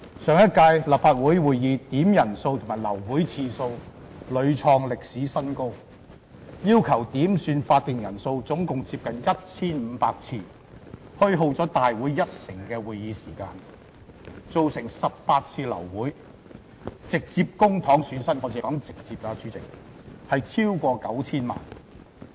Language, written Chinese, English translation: Cantonese, 上屆立法會會議點算法定人數及流會次數屢創歷史新高，要求點算法定人數總共接近 1,500 次，虛耗了立法會一成的會議時間，造成18次流會，直接公帑損失——主席，我只是說直接的損失——超過 9,000 萬元。, In the last Legislative Council quorum calls and meeting termination reached a record high . There were almost 1 500 quorum calls made which used up 10 % of the Council meeting time and resulted in 18 times of meeting termination . The public money that was directly lost President I am only talking about the direct loss amounted to over 90 million